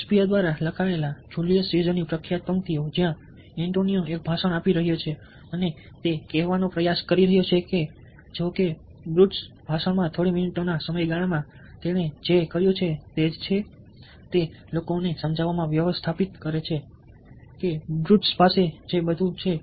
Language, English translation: Gujarati, the famous lines of julies caesar written by shakespeare, where antonio is giving a speech trying to tell that, although, ah, brutus is just in what he has done over a period of few minutes in the speech, he manages to convince the people that everything that brutus has done is actually wrong